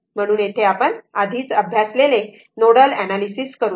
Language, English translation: Marathi, So, here nodal analysis we have already studied